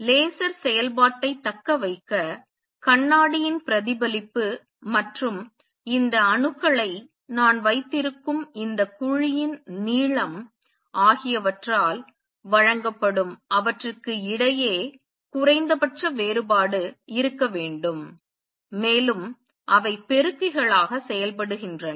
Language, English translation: Tamil, And in order to sustain laser action I should have minimum difference between them which is given by the reflectivity of the mirror and the length of this cavity in which I am holding these atoms, and which work as the amplifiers